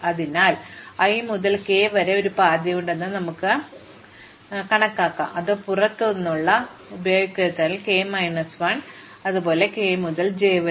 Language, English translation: Malayalam, So, therefore, I can assume there is a path from i to k, which does not use anything outside 1 to k minus 1, likewise from k to j